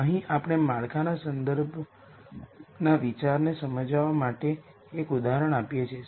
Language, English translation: Gujarati, Here we gives one example to illustrate the idea of the framework